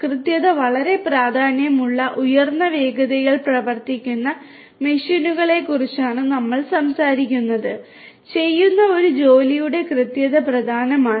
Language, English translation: Malayalam, We are talking about machines which typically operate in high speeds where precision is very important; precision of a job that is being done is important